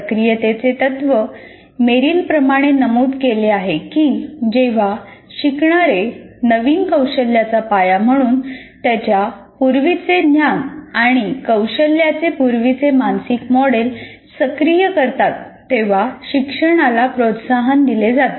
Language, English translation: Marathi, The activation principle, as Merrill states that learning is promoted when learners activate a prior mental model of their prior knowledge and skill as foundation for new skills